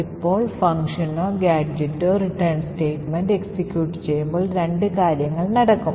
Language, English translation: Malayalam, Now when the function or the gadget being executed executes the return instruction as we have said there are two things that would happen